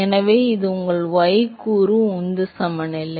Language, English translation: Tamil, So, that is your y component momentum balance